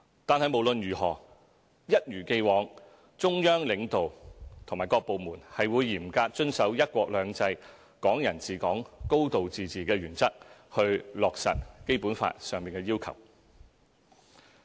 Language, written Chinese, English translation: Cantonese, 但是，無論如何，中央領導和各部門是會一如既往嚴格遵守"一國兩制"、"港人治港"、"高度自治"的原則去落實《基本法》的要求。, Nevertheless the Central Government and the departments under it will as always strictly adhere to the principles of one country two systems Hong Kong people administering Hong Kong and a high degree of autonomy . In so doing they fulfil the requirements of the Basic Law